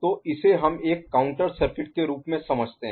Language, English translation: Hindi, So, that is what we understand as a counter circuit